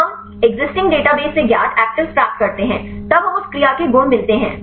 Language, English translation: Hindi, So, we get the known actives from the exisiting database; then we get the properties for that actives